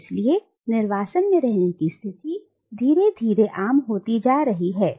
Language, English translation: Hindi, And so the condition of being in exile is gradually becoming more and more common